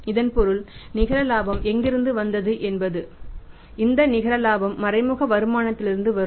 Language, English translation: Tamil, It means from where the net profit has come this net profit will come from source that is indirect income